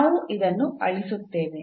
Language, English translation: Kannada, So, let me erase this